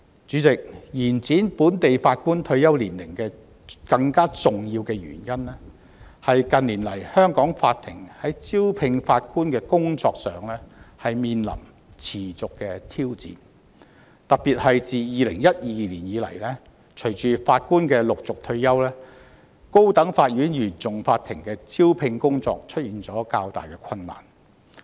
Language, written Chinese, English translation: Cantonese, 主席，延展本地法官退休年齡的更重要原因是近年來香港法庭在招聘法官的工作上面臨持續的挑戰，特別是自2012年以來，隨着法官陸續退休，高等法院原訟法庭的招聘工作出現較大困難。, President a more important reason for extending the retirement ages for local Judges is the persistent challenges confronting Hong Kong courts in the recruitment of Judges in recent years not least the greater recruitment difficulties at the level of the Court of First Instance CFI of the High Court with the gradual retirement of Judges since 2012